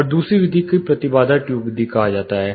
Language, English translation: Hindi, And the second method is called impedance tube method